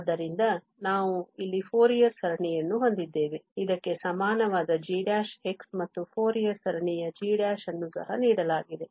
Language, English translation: Kannada, So, we have the Fourier series here, g prime x equal to this and also the Fourier series of g prime given by this